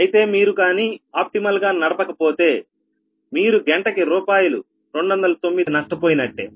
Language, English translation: Telugu, so if you do not ah operate optimally, you will be looser by two hundred nine rupees per hour